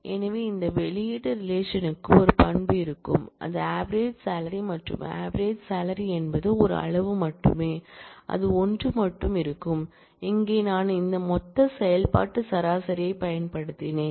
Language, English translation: Tamil, So, mind you this will output relation will have one attribute, which is average salary and since, average salary is a single quantity it will only have one, and here I have made use of this aggregate function average